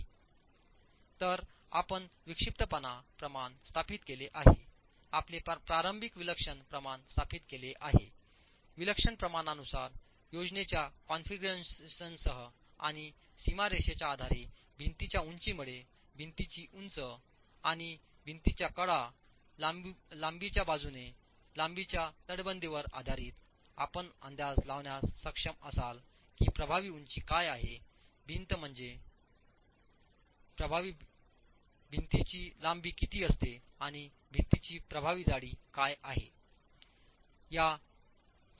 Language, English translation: Marathi, So, you have an eccentricity ratio established, your initial eccentricity ratio established with the eccentricity ratio, with the plan configuration and the elevation of the wall based on the boundary conditions imposed by the ends of the wall along the height and the edges of the wall in length you will be able to estimate what the effective height of the wall is, what the effective length of the wall is and the effective thickness of the wall